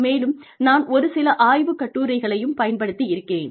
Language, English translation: Tamil, And, I have used a few research papers